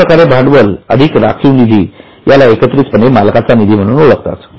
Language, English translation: Marathi, That capital plus reserve together is known as owners fund